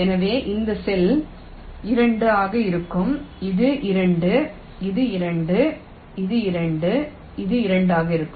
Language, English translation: Tamil, so you see, this cell will be two, this is two, this is two, this two and this two